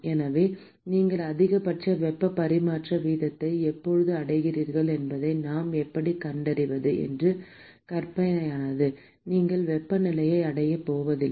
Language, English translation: Tamil, So, how do we find maximum when do you achieve maximum heat transfer rate it is hypothetical you are not going to achieve it temperature is